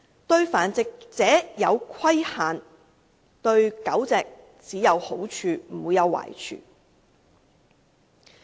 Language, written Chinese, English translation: Cantonese, 對繁殖者施加規限，對狗隻只有好處而不會有壞處。, Putting dog breeders under regulation will only do good but not harm to dogs